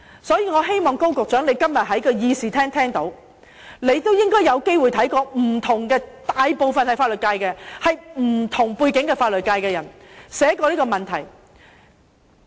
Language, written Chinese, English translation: Cantonese, 所以，我希望高局長今天在議事廳聽一聽，你應該曾有機會看過不同的人士——大部分來自法律界、具不同背景的人士——就這問題寫過的文章。, Therefore I hope Secretary Dr KO will listen to us in this Chamber today . He should have had the opportunity of reading articles written on this issue by different people most of whom coming from the legal profession and holding different backgrounds